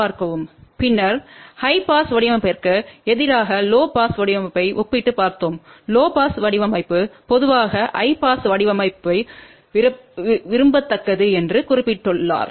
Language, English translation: Tamil, And then we had looked at the comparison low pass design versus high pass design and I had mention that low pass design is generally preferable then the high pass design